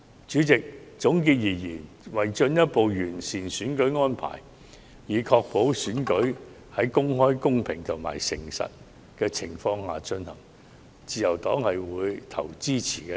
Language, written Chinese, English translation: Cantonese, 主席，總結上述各點，為了進一步完善選舉安排，以確保選舉在公開、公平和誠實的情況下進行，自由黨會表決支持。, President to conclude the Liberal Party will vote in favour of the Bill as it can further enhance the electoral arrangements to ensure the elections will be conducted in an open fair and honest manner